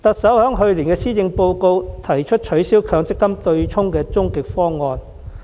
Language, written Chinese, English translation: Cantonese, 在去年的施政報告中，特首提出取消強積金對沖機制的終極方案。, In her Policy Address last year the Chief Executive put forth an ultimate proposal for abolishing the MPF offsetting mechanism